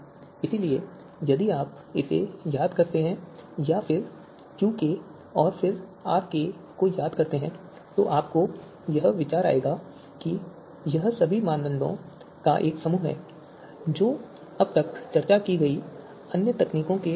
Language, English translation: Hindi, So if you remember that and then remember QK and then RK then you will get the idea that you know this is an aggregation of all criteria quite similar to the other techniques that we have discussed so far